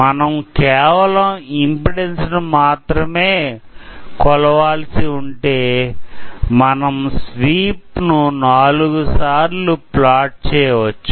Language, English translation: Telugu, So, if we are just measuring impedance, we can plot the sweep four times